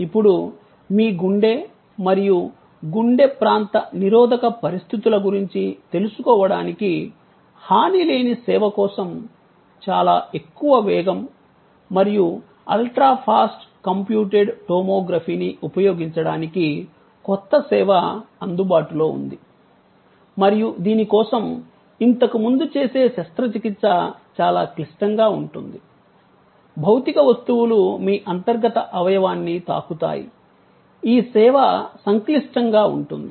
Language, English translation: Telugu, Now, there is a new service available to use the very high speed and ultra fast computed tomography for non invasive service to know about your heart and heart areal, blockage conditions and so on for which earlier there was a very much more complicated in ways if surgery, were physical objects touched your internal organ